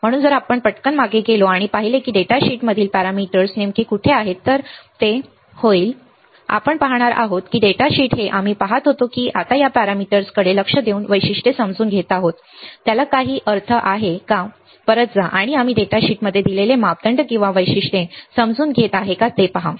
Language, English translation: Marathi, So, if we quickly go back and see that what exactly where the parameters in datasheet then it will be, that we will see that the data sheets that we were looking at whether now looking at these parameters understanding the characteristics, whether it makes sense to go back and see whether we are understanding the parameters or characteristics given in the data sheet